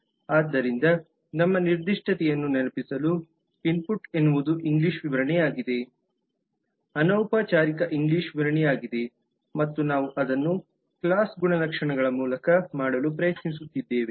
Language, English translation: Kannada, so just to remind that our specific input is the english specification, informal english description and we are trying to make the class attribute and responsibilities